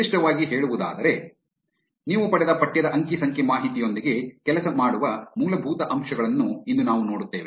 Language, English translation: Kannada, Specifically, today we will be looking at the basics of working with textual data that you have obtained